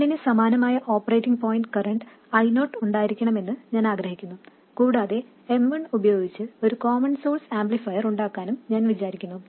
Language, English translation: Malayalam, I want M1 to have the same operating point current I0 and I want to realize a common source amplifier using M1